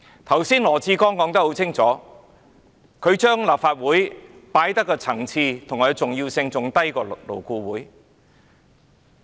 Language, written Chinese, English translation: Cantonese, 剛才羅致光說得很清楚，他視立法會的層次和重要性比勞工顧問委員會為低。, Dr LAW Chi - kwongs remarks just now clearly indicated that he regarded that the Legislative Council is inferior to and less important than the Labour Advisory Board